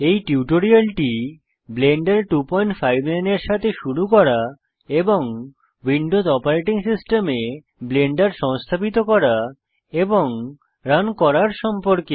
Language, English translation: Bengali, These tutorial is about getting blender 2.59 and how to install and run Blender 2.59 on the Windows Operating System